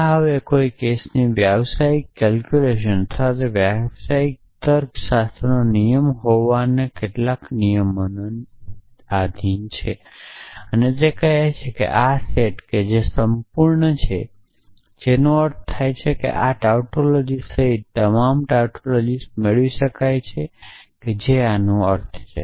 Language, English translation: Gujarati, This is now a case professional calculus or professional logic a rule of infer some rule of inference and say that this set which is complete, which means all tautologies can be derived in this including this tautology which stands for this